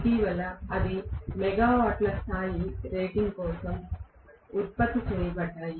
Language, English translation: Telugu, Lately they have been produced for megawatts levels of rating